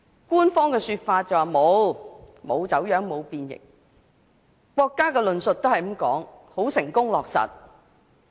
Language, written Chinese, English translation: Cantonese, 官方的說法是沒有走樣，沒有變形，國家的論述更是"成功落實"。, The official saying is that there is no distortion or deformation; the remark of the State is that one country two systems has been successfully implemented